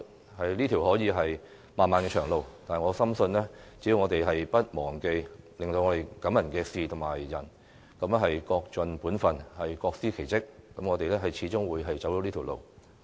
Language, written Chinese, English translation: Cantonese, 這可能是一條漫漫長路，但我深信只要我們不忘記令我們感動的人和事，各盡本分，各司其職，我們始終會走對的路。, This may be a road far and wide but I firmly believe that if we do not forget the people and incidents that have touched our hearts do our respective jobs and focus on our respective responsibilities we will always be walking on the right path